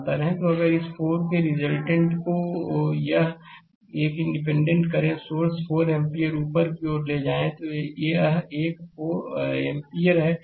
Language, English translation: Hindi, So, if you take the resultant of this 4 a this independent current source 4 ampere upward this one ampere